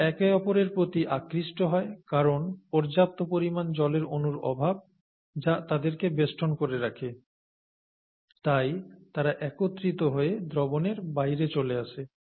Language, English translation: Bengali, They are, they get attracted to each other because of the lack of water molecules that surround them and then they come together and fall out of solution